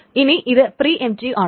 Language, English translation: Malayalam, This is preemptive